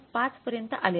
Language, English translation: Marathi, 5 so that is not same